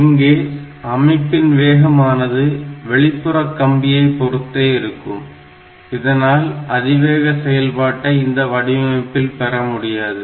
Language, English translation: Tamil, So, the speed of the system is limited by this speed of this external lines, so you cannot achieve very high speed with this type of designs